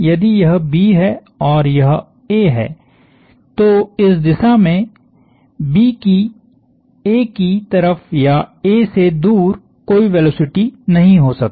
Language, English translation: Hindi, If this is B and this is A, B can have no velocity towards A or away from A in this direction